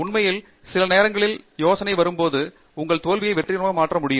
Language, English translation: Tamil, In fact, sometimes with just change of idea, you can convert your failure to a success